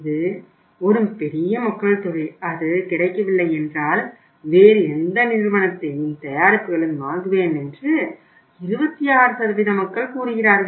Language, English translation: Tamil, This is a large amount of the people; 26% of the people say that if it is not available I will buy the product of any other company